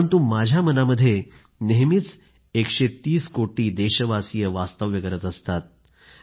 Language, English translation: Marathi, These minute stories encompassing a 130 crore countrymen will always stay alive